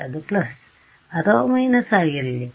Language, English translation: Kannada, Should it be a plus or minus